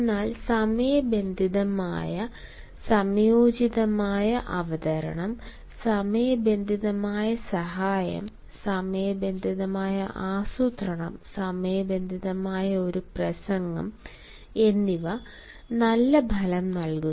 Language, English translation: Malayalam, but remember a timely, a timely presentation, a timely help, a timely planning and a talk well timed in bears good result in most of the situation